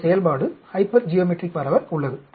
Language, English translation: Tamil, There is a function hypergeometric distribution